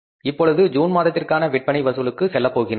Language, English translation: Tamil, Now we go for the collection from the June sales